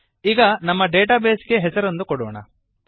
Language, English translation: Kannada, Now, lets name our database